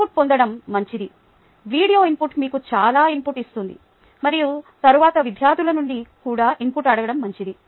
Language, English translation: Telugu, its good to get input the video input would give you most of it and then its good to ask for input from the students